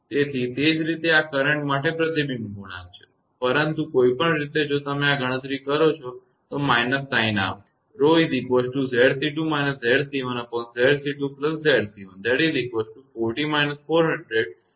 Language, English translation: Gujarati, So, similarly this is reflection coefficient for the current, but anyway; if this one you calculate, other one just take the minus sign of this